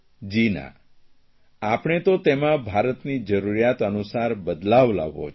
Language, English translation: Gujarati, This is not true at all; we need to modify it according to the needs of India